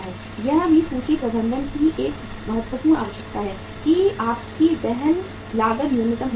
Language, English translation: Hindi, That is also the one important requirement of inventory management that your carrying cost should be minimum